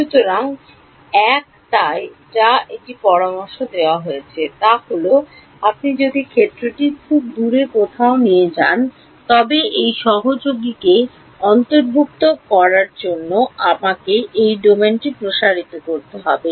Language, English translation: Bengali, So, one so, that is what one thing that has been suggested is that when if you want the field somewhere far away you somehow I have to expand this domain to include this fellow